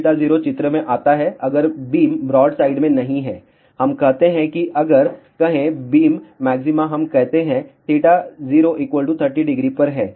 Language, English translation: Hindi, Cos theta 0 comes into picture if the beam is not in the broadside, let us say if the beam maxima is at let us say theta 0 equal to 30 degree